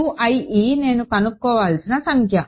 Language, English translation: Telugu, U i e is a number which I want to determine